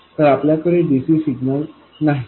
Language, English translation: Marathi, So, we don't have DC signals